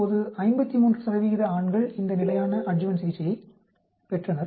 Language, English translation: Tamil, Now 53 percent of men received this standard adjuvant therapy, 62 percent of women received standard adjuvant therapy